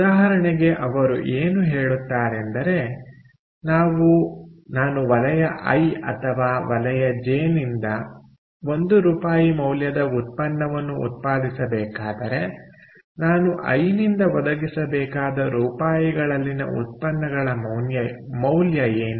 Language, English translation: Kannada, so, for example, what they will say is: if we, i, if i have to produce ah, a product worth one rupee from sector i or sector j, what is the worth of products in rupees that i need to pump in from sector i